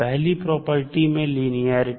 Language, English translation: Hindi, First is linearity